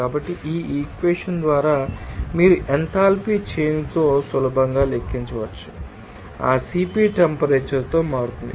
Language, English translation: Telugu, So, by this equation you can easily then calculate for with enthalpy change, if that CP will be changing with temperature